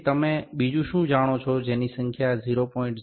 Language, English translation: Gujarati, So, what else you know the number is 0